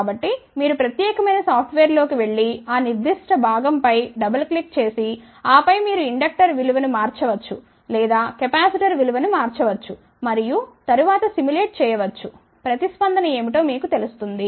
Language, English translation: Telugu, So, you go in that particular software you can click on that particular [com/component] component double click on that and then you can change the value of the inductor or change the value of the capacitor and then simulate, you will know what is the response